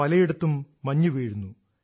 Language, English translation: Malayalam, Many areas are experiencing snowfall